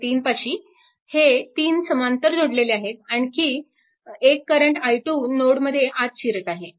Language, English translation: Marathi, So, these 3 things are in parallel and another current i 2 is also entering into the node